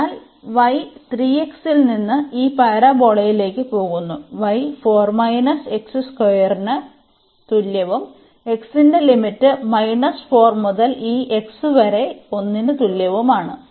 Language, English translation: Malayalam, So, the y goes from 3 x to this parabola, y is equal to 4 minus x square and the limits of x will be from minus 4 to this x is equal to 1